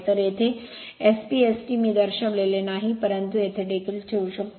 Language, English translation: Marathi, So, here SPST I have not shown, but you can you can put it here also